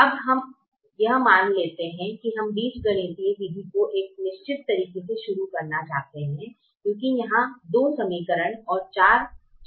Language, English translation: Hindi, now let's assume that we want to start the algebraic method in a certain way, because there are two equations and four variables